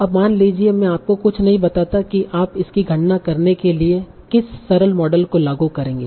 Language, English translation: Hindi, Now suppose I do not tell you anything else what is the simplest model that you will apply to compute this probability